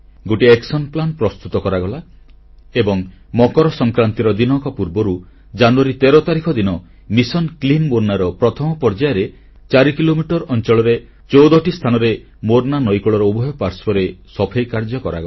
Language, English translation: Odia, An action plan was chalked out and on January 13 th a day before MakarSankranti, in the first phase of Mission Clean Morna sanitation of the two sides of the bank of the Morna river at fourteen places spread over an area of four kilometers, was carried out